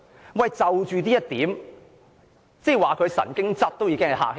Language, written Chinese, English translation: Cantonese, 主席，就着這一點，說她神經質已比較客氣。, Chairman in the light of this it would be quite polite to call her a neurotic